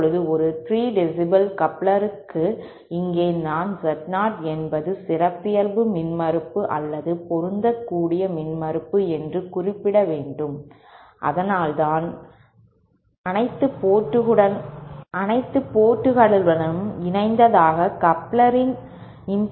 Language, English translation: Tamil, Now, for a 3 dB couplers, here I should mention that Z0 is the characteristic impedance or the matching impedance, that is the impotence to which the coupler is assumed to be connected all the ports